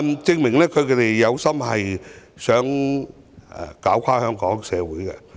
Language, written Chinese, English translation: Cantonese, 證明反對派有心拖垮香港社會。, It proves that the opposition camp is deliberately ruining Hong Kong society